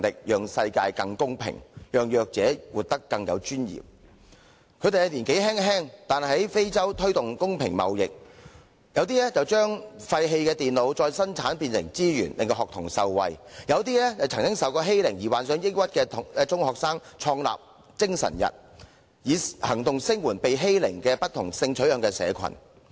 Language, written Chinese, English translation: Cantonese, 雖然他們年輕，但有些已在非洲推動公平貿易，有些把廢棄的電腦再生產變成資產惠及學童，有些曾受欺凌而患上抑鬱的中學生則創立"精神日"，以行動聲援被欺凌並有不同性取向社群。, Regardless of their young age some of them have promoted fair trade in Africa and some have turned discarded computers into useful assets for the benefit of school children . Also some secondary students who had been bullied and suffered from depression founded the Spirit Day to show their support with action for people who have been bullied and have different sexual orientation